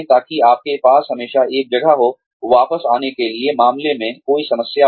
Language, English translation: Hindi, So, that you always have a place, to come back to, in case, there is any problem